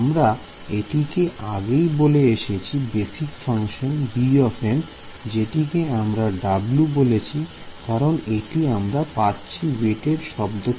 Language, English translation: Bengali, So, earlier I had call this as the basis function b m I am just calling it W because W is coming from the word weighted ok